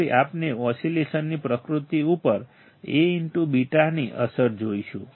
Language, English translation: Gujarati, Now, we will see the effect of A beta on the nature of oscillations